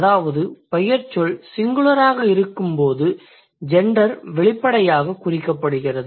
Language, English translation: Tamil, So, that means when the noun is singular, the gender is marked overtly